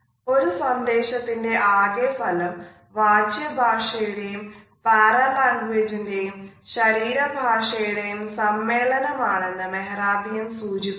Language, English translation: Malayalam, Albert Mehrabian at one moment had suggested that the total impact of a message is a combination of verbal content paralanguage and body language